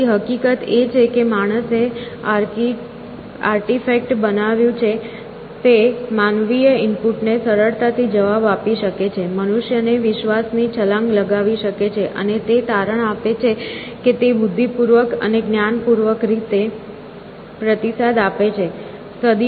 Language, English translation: Gujarati, So, the fact that the man made artifact could respond to human input easily leads humans to make a leap of faith and conclude that it responds intelligently and knowledgeably